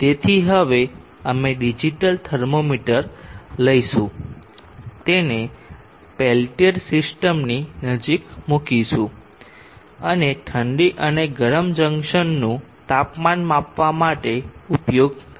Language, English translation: Gujarati, 5 amps, so now we will take a digital thermometer place it near the peltier system and use the probe to measure the temperatures the cold and the hot junctions